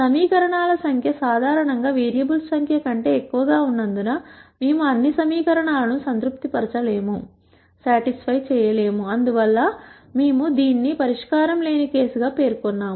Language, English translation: Telugu, Since the number of equations is greater than the number of variables in general, we will not be able to satisfy all the equations; hence we termed this as a no solution case